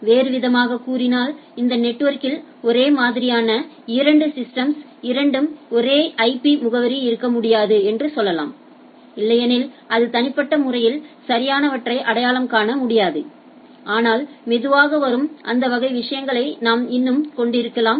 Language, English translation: Tamil, In other sense we can say that a two systems on the same on this network cannot have two same IP address then it will not be able to identify those uniquely right, but there are way out still we are having those type of things that will come slowly